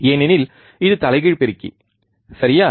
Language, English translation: Tamil, Because this is the inverting amplifier, alright